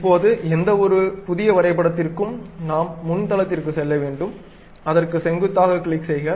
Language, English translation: Tamil, Now, for any new drawing, we have to go to front plane, click normal to that